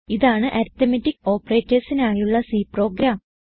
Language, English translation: Malayalam, Here is the C program for arithmetic operators